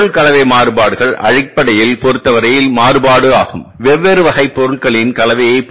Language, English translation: Tamil, Material mixed variance is basically the variance with regard to the mix of the different types of materials